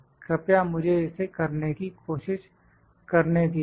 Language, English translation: Hindi, Please let me try to show this